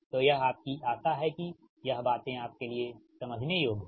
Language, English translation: Hindi, so this is your hope, these things are understandable to you right